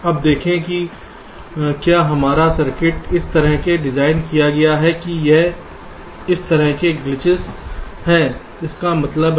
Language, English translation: Hindi, if your circuit has been designed in such a way that there are glitches like this, what does that mean